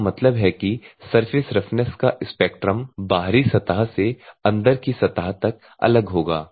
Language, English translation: Hindi, That means, that a spectrum of surface roughness is will vary from the outside surface to the inside surface